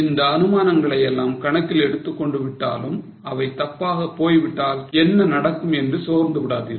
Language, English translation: Tamil, Now, though these assumptions are taken into account, don't be discouraged that what will happen if assumptions go wrong